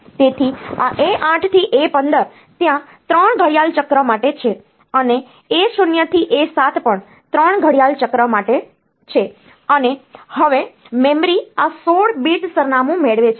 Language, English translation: Gujarati, So, this A 8 to A 15 is there for 3 clock cycles, and A 0 to A 7 is also there for 3 clock cycles and now the memory getting this the 16 bit address